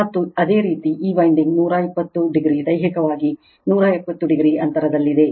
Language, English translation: Kannada, And these winding that 120 degree your physically 120 degree a apart